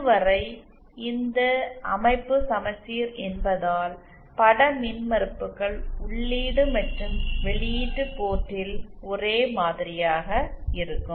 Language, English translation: Tamil, since this structure is symmetric the image impedances will be the same on the input and the output port